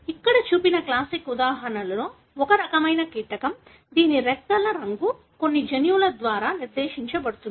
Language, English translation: Telugu, One of the classic examples shown here is a kind of insect, whose wing colour is dictated by, likewise, certain genes